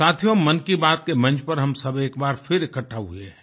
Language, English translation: Hindi, Friends, we have come together, once again, on the dais of Mann Ki Baat